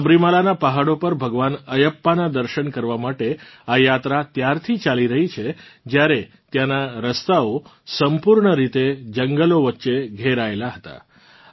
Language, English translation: Gujarati, This pilgrimage to seek Darshan of Bhagwan Ayyappa on the hills of Sabarimala has been going on from the times when this path was completely surrounded by forests